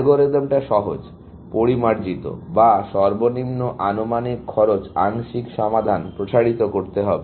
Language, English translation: Bengali, The algorithm is simple; refine or extend the least estimated cost partial solution